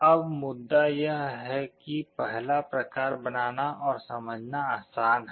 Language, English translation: Hindi, Now the point is that the first type is easier to build and understand